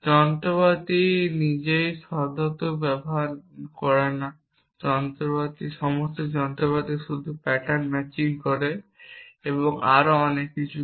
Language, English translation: Bengali, The machinery itself does not use the semantic at all the machinery just does pattern matching and so on so forth